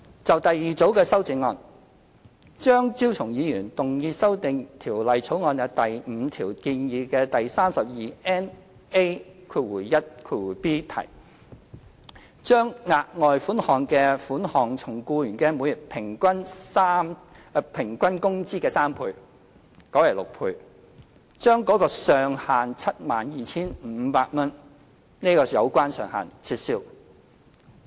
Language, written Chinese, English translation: Cantonese, 就第二組修正案，張超雄議員動議修訂《條例草案》第5條中建議的第 32NA1b 條，將額外款項的款額從僱員每月平均工資的3倍改為6倍，將 72,500 元的有關上限撤銷。, In the second group of amendments Dr Fernando CHEUNG proposes to amend the proposed section 32NA1b in clause 5 of the Bill to change the amount of the further sum from three times to six times the employees average monthly wages and remove the ceiling of 72,500